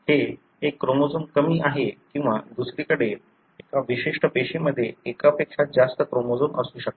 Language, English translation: Marathi, It is one chromosome less or on the other hand, a particular cell may have more than one chromosome